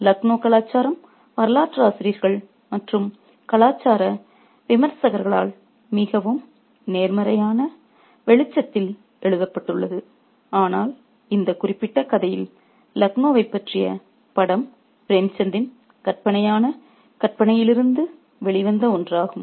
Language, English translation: Tamil, Laknui culture has been written upon in a highly positive light by historians and cultural critics, but the picture that we get of Lucknow in this particular story is one that is out of the fictional imagination of Premchen